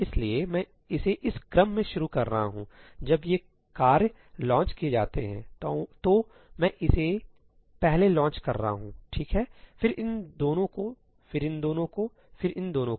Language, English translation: Hindi, So, I am launching this in this order ; when these tasks are launched, I am launching this first, right, then these two, then these two, then these two